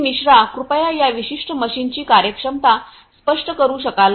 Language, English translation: Marathi, Mishra could you please explain the functionality of this particular machine